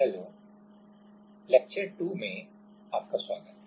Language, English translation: Hindi, Hello, welcome to lecture 2